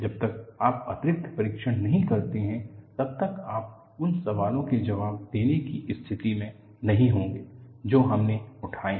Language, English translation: Hindi, Unless you conduct additional tests, you will not be in a position to answer the questions that we have raised